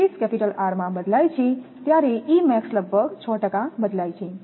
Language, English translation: Gujarati, 25 R, E max changes just by about 6 percent